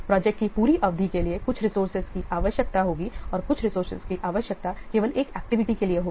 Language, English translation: Hindi, Some resources they will be required for the whole duration of the project and some of the resources will be required only for a single activity